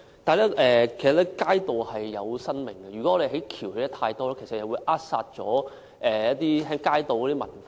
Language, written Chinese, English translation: Cantonese, 但是，街道是有生命的，如果我們興建太多行人天橋，其實會扼殺街道文化。, But streets are living too . The construction of too many footbridges would actually strangle the street culture